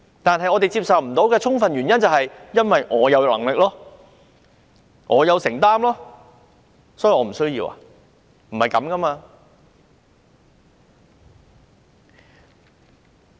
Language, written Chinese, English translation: Cantonese, 但是，我們不能接受的原因，就是說自己很有能力、很有承擔，所以不需要做這個程序。, One reason we cannot accept is that you claim yourself very capable and responsible so much so that you skip a certain procedure